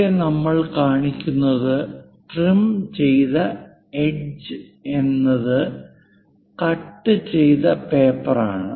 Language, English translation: Malayalam, So, here, the thing what we are showing trimmed edge is the paper up to which the cut has been done